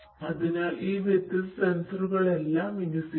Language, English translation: Malayalam, So, all of these different sensors are going to be deployed